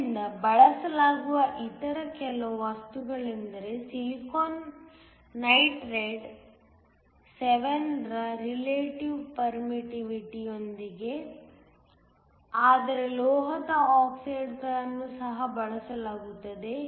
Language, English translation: Kannada, So, Some of the other materials that are used are silicon nitride with a relative permittivity of 7, but metal oxides are also used